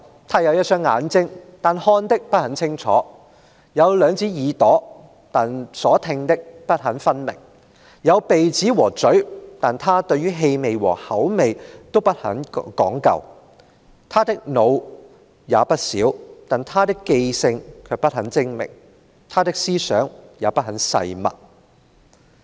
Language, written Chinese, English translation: Cantonese, 他有一雙眼睛，但看的不很清楚；有兩隻耳朵，但聽的不很分明；有鼻子和嘴，但他對於氣味和口味都不很講究；他的腦子也不小，但他的記性卻不很精明，他的思想也不很細密。, He has two eyes―but does not see very clearly; he has two ears―but they do not listen very well; he has a nose and a mouth but does not distinguish much between different smells and tastes . His head is not particularly small―however―his memory is not very good and his thoughts are not at all lucid